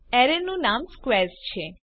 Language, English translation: Gujarati, The name of the array is squares